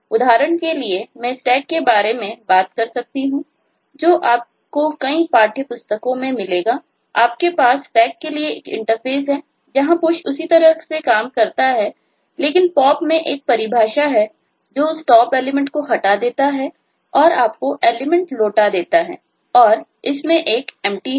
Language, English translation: Hindi, you will find in many text books you have an interface for a stack where the push works in the same way, but pop has a definition that removes that of most element and returns you that element, and there is an empty